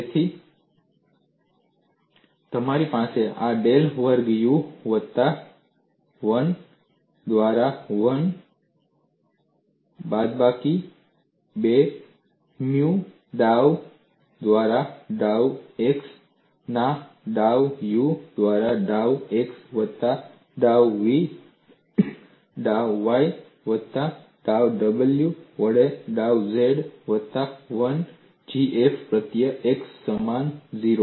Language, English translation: Gujarati, So, you have this as del squared u plus 1 by 1 minus 2 nu dou by dou x of dou u by dou x plus dou v dou y plus dou w by dou z plus 1 by G F suffix x equal to 0